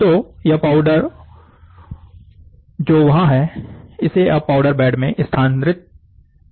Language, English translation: Hindi, So, this powder will be, is there, so this powder is now moved into a powder bed